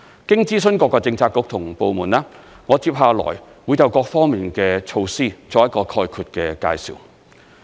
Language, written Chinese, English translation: Cantonese, 經諮詢各個政策局和部門，我接下來會就各方面的措施作一個概括的介紹。, After consulting various Policy Bureaux and departments I will give on overall introduction on our various measures in the following part of my speech